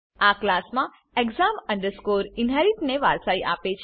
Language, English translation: Gujarati, This inherits the class exam inherit